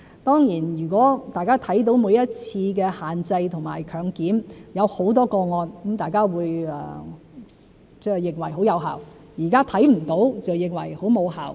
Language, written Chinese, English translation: Cantonese, 當然，如果大家看到每一次的限制和強檢行動找到很多個案，大家便認為很有效；現在看不到，就認為很無效。, Certainly the public may consider the restriction - testing operation very effective if many cases are identified in each operation and since they are not seeing this now they consider the arrangement ineffective